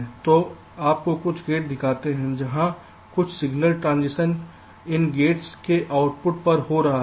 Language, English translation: Hindi, so here you show some gates where some signal transitions are taking place